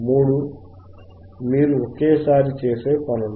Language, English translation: Telugu, All three things you do simultaneously